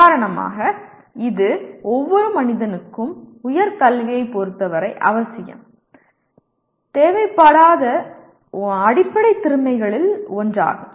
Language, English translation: Tamil, For example this is one of the basic skill that every human being requires not necessarily with respect to higher education